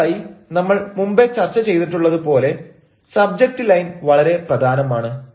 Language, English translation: Malayalam, first is that you are, as we have discussed earlier, the subject line is very important